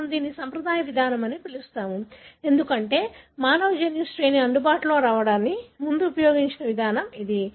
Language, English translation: Telugu, We call it as conventional approach, because this is the approach that was used before the human genome sequence was made available